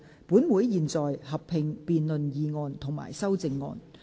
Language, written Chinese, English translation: Cantonese, 本會現在合併辯論議案及修正案。, Council will conduct a joint debate on the motion and the amendments